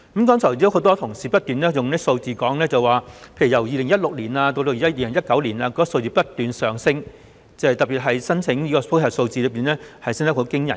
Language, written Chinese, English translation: Cantonese, 剛才很多同事提出一些數字，例如由2016年至2019年，有關的個案數字不斷上升，特別是申請司法覆核的個案升幅驚人。, Many colleagues provided data just now . For example these cases have been increasing from 2016 to 2019 and the surge in JR cases was particularly alarming